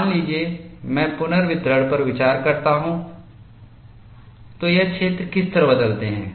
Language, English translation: Hindi, Suppose, I consider the redistribution, what way these zones change